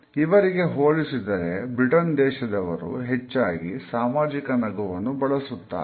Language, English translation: Kannada, In comparison to the Americans the British perhaps are more likely to use a social smile